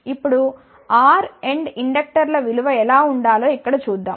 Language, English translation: Telugu, Now, let us see here what should be the value of R end inductors